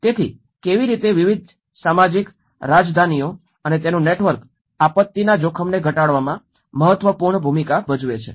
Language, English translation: Gujarati, So, how different social capitals and its network play an important role in reducing the disaster risk